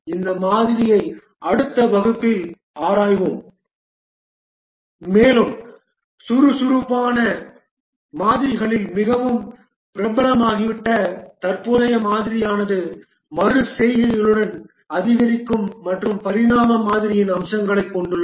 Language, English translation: Tamil, We'll examine this model in the next class and we'll see that the present model that has become extremely popular at the agile models which have the features of both the incremental and evolutionary model with iterations